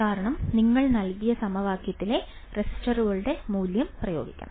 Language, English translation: Malayalam, Because you have to just substitute the value of the resistors in the given equation